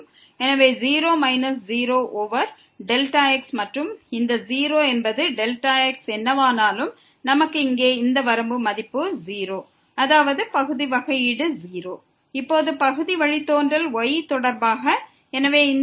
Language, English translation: Tamil, So, 0 minus 0 over delta and this is 0 whatever delta ’s so, we have here the value of this limit is 0; that means, the partial derivative with respect to is 0